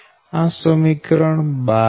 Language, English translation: Gujarati, this is equation twelve